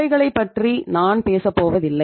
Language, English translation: Tamil, I am not going to talk about both the things